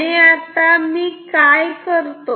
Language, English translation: Marathi, And then, what I do